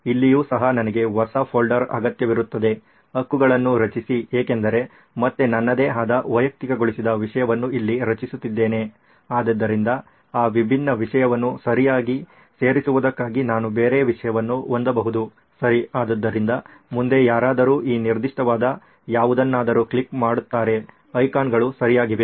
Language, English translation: Kannada, Here also I would need a new folder, create right because again creating my own personalised content here, so I can have a different subject and content for that different subject being added right, okay so the next would be someone clicking on any of this particular icons right